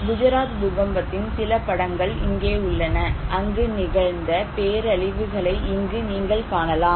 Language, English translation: Tamil, There are also lots of cattle dead, here are some of the picture of Gujarat earthquake, you can see the devastations that happened there